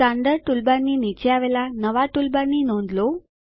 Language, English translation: Gujarati, Notice a new toolbar just below the Standard toolbar